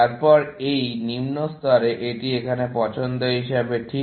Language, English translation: Bengali, Then these, at lower levels; this is just as choices here